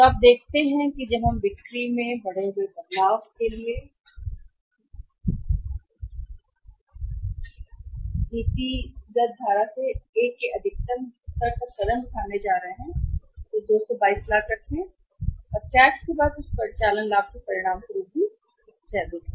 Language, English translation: Hindi, So, you see that when we move from policy current to A maximum level of increased change in the sales is going to take place 222 lakhs and as a result of that operating profit after tax is also highest